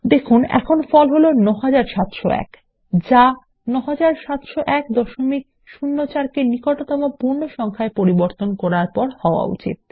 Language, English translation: Bengali, You see, that the result is now 9701, which is 9701.04 rounded of to the nearest whole number